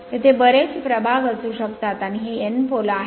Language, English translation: Marathi, There may be many slots are there and this is your N pole